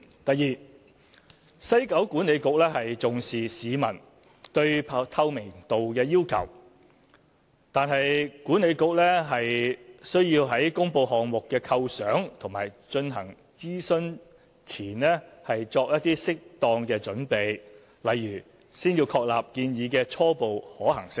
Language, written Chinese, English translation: Cantonese, 第二，西九管理局重視市民對透明度的要求，但管理局需要在公布項目構想和進行諮詢前作適當準備，例如先要確立建議的初步可行性。, Second while WKCDA attaches great importance to the publics demand for transparency it had to do the appropriate preparatory work before publishing the conception of the project and conducting consultation eg . ascertaining the preliminary viability of the proposal